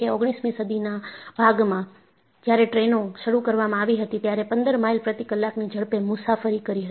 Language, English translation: Gujarati, When, trains were introduced in the later part of nineteenth century, they were traveling at a speed of 15 miles per hour